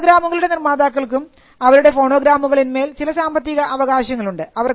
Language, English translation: Malayalam, The producers of phonograms also had certain economic rights in their phonograms